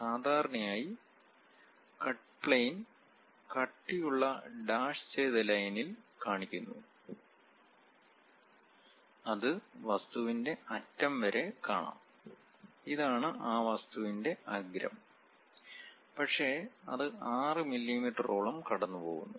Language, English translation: Malayalam, Usually the cut planes represented by a thick dashed line that extend past the edge of the object; this is the edge of that object, but it pass ok over that, 6 mm